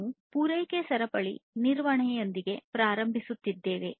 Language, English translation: Kannada, So, we will start with the supply chain management